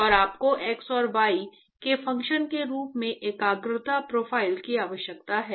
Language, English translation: Hindi, And you need the concentration profile as a function of x and y